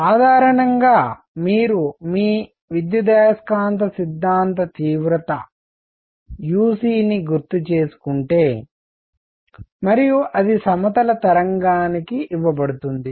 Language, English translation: Telugu, Usually, if you have recalled your electromagnetic theory intensity uc and that is given for a plane wave